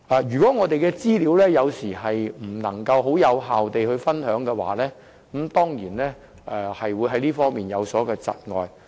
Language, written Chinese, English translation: Cantonese, 如果我們的資料無法有效分享，當然在這方面會有所窒礙。, Failure to achieve effective sharing of our information will certainly impede progress on this front